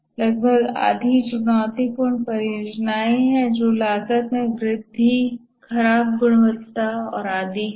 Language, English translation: Hindi, And roughly about half are challenged projects which are delayed cost escalation, poor quality and so on